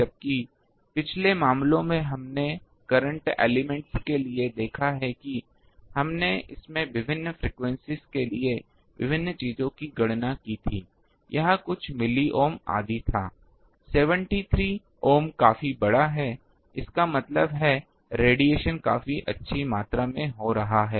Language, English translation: Hindi, Whereas, in previous cases we have seen for current elements it was in we have calculated various thing ah um for various frequencies it was some milliohm etcetera, 73 ohm is quite sizable; that means, quite a good amount of radiation is taking place